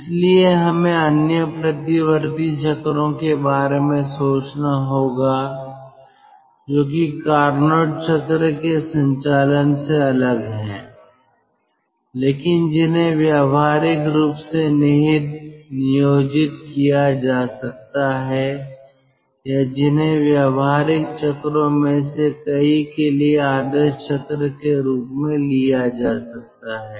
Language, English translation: Hindi, so thats why we have to think of other reversible cycles which are different from ah, the operation of carnot cycle, but which can be practically implied, ah employed, or those can be taken as ideal cycles for many of the practical cycles